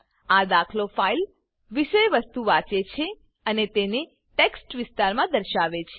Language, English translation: Gujarati, This example reads the file contents and displays them in the TextArea